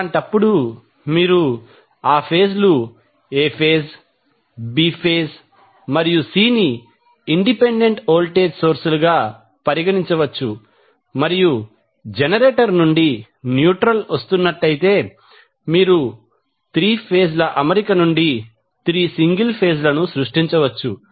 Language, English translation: Telugu, So, in that case you will see that phase A phase, B phase and C can be considered as 3 independent voltage sources and if you have neutral coming out of the generator, so, you can have 3 single phase created out of 3 phase arrangement